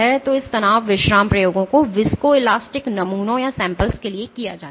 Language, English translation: Hindi, So, these stress relaxation experiments are performed for viscoelastic samples